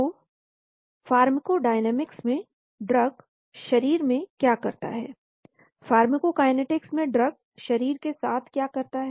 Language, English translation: Hindi, So pharmacodynamics what the drug does to the body, pharmacokinetics what the body does to the drug